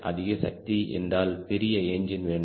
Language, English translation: Tamil, and more power means bigger engine, bigger engine generally